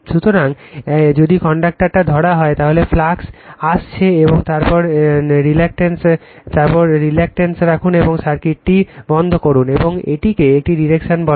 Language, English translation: Bengali, So, if you grab the conductor, the flux is coming out, and then you put the reluctance and close the circuit, and this is your what you call the direction of the phi